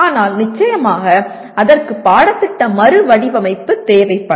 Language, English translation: Tamil, But of course that requires the curriculum redesigned